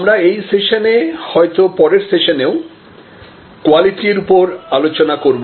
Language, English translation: Bengali, We are going to discuss in this session and possibly the next session, Services Quality, Service Quality